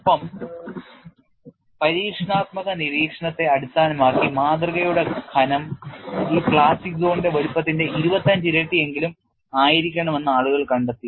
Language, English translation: Malayalam, And based on experimental observation, people found that the specimen thickness should be at least 25 times of this plastic zone size